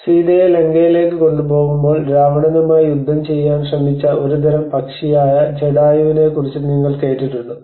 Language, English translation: Malayalam, Have you heard about Jatayu which is a kind of bird which protected tried to fight with Ravana when he was carrying Sita to Lanka